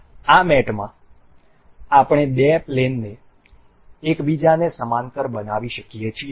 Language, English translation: Gujarati, In this mate we can make two planes a parallel to each other